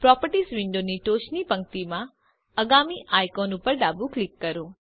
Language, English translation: Gujarati, Left click the next icon at the top row of the Properties window